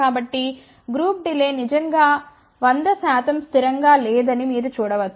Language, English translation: Telugu, So, you can see that the group delay is not really 100 percent constant